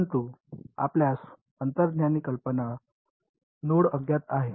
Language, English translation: Marathi, But you get the intuitive idea nodes are the unknowns